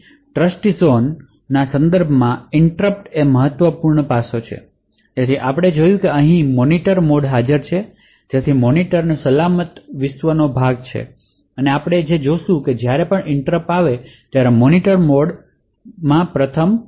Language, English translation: Gujarati, So interrupts are a critical aspect with respect to Trustzone so as we have seen that is a Monitor mode present over here so the monitor is part of the secure world and what we see is that whenever interrupt comes so it is first channeled to the Monitor mode